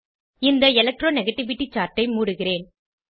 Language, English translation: Tamil, I will close the Electro negativity chart